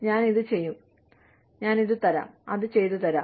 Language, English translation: Malayalam, I will get this done, that done